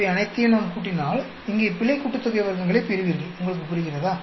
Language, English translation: Tamil, And if we add up all these, you will get the error sum of squares here, you understand